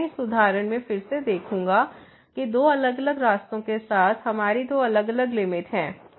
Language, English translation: Hindi, So, I will again in this example we have seen that along two different paths, we have two different limits